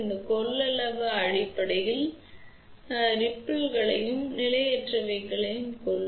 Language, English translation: Tamil, This capacitance is basically to kill the ripples as well as the transients